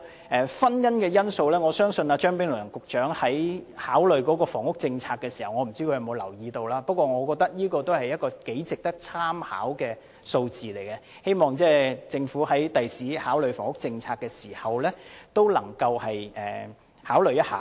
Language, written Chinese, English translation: Cantonese, 我不知道張炳良局長考慮房屋政策時，有否留意這個婚姻因素，但我覺得這是一組頗值得參考的數字，希望政府將來考慮房屋政策時，能夠考慮一下。, I wonder whether Secretary Prof Anthony CHEUNG has taken into account this factor of marriage when formulating the housing policy . I think this set of figures is worthy of our reference and I hope that the Government will take them into account when formulating the housing policy in the future